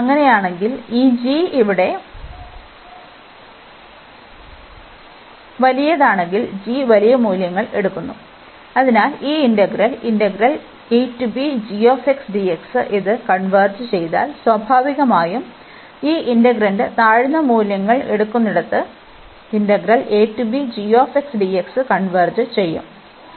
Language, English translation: Malayalam, And in that case, we have that if this g the bigger one here that the g is taking large values, so if this integral a to b g x dx this converges, then naturally the integral, which where this integrand is taking the lower values, then the g this will also converge